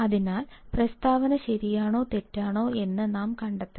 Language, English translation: Malayalam, So, we have to find out whether the statement is true or false